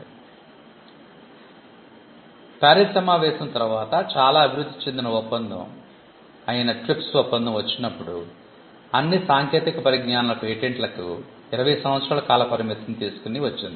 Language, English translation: Telugu, So, when the TRIPS agreement which is a much evolved agreement came after the PARIS convention, we had provisions on the term of the patent the 20 year term for all patents across technology was agreed upon